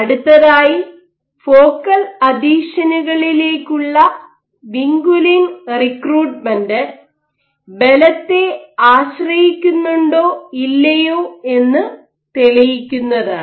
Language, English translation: Malayalam, What did it next was that to demonstrate whether vinculin recruitment to focal adhesions is force dependent or not